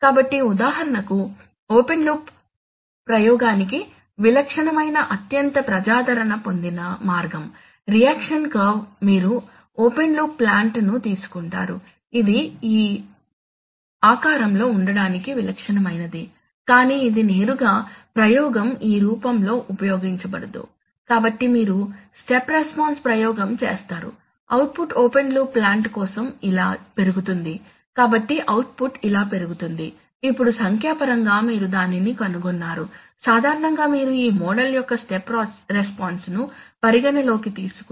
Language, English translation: Telugu, So for example if you, a typical very popular way of open loop experimentation is the reaction curve that is you take the open loop plant which is typically of this assume to be of this shape but it is not directly in the, in the, in the experimentation this form is not used, so you do a step response experiment, so the output is going to write this for the open loop plant, so the output is going to rise like this, so now numerically you find out that typically in this model if you consider the step response of this model